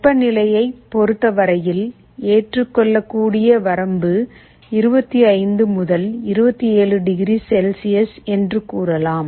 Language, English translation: Tamil, Like let us say, for temperature you may say that my acceptable limit is 25 to 27 degree Celsius